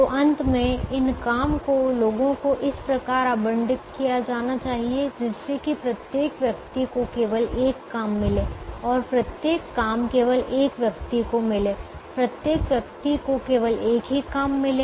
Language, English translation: Hindi, so at the end these jobs have to be allocated to people such that each person gets only one job and each job goes to only one person